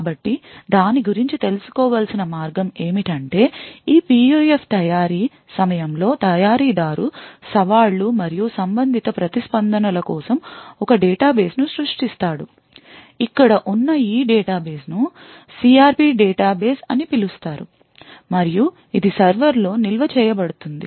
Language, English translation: Telugu, So the way to go about it is that at the time of manufacture of this PUF, the manufacturer would create a database for challenges and the corresponding responses, so this database over here is known as the CRP database and it would be stored in the server